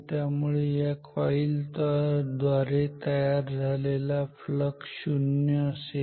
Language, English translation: Marathi, So, the flux created by this coil will be 0